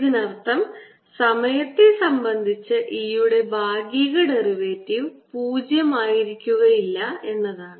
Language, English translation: Malayalam, and this means this immediately implies that partial derivative of e with respect to time is not zero